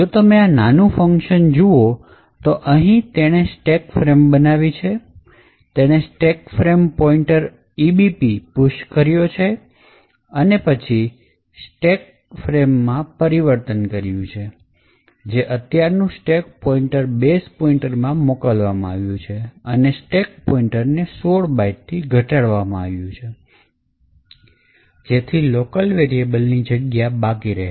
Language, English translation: Gujarati, So, if you look at this particular small function over here which essentially creates the stack frame, it pushes the stack frame pointer, EBP on to the stack that corresponds to this and then there is a changing of stack frame that is the current stack pointer is moved to base pointer and then the stack pointer is decremented by 16 bytes to give space for the local variables